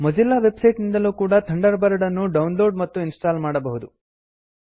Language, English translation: Kannada, You can also download and install Thunderbird from the Mozilla website